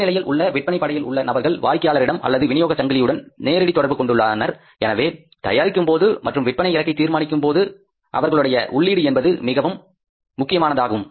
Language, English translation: Tamil, The lowest person in the sales force who is directly connected to either customers or the channels of the distribution, his inputs are very important for preparing or setting the sales target